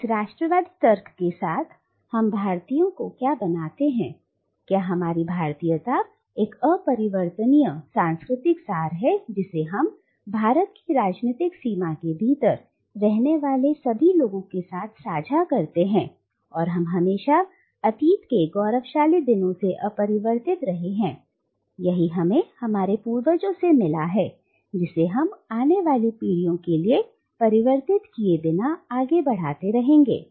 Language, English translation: Hindi, So what makes us Indians within this nationalist logic, is our Indianness which is a unchangeable cultural essence that we share with everyone living within the political boundary of India and that has remained unchanged, from the glorious days of the past, and has been forwarded to us, which we will forward unchanged to the future generations